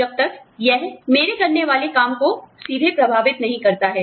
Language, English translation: Hindi, Unless, it is going to, directly affect the work, that i do